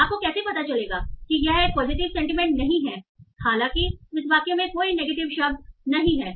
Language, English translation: Hindi, So how do you that, okay, this is not a positive sentiment, although there is no negative word in this sentence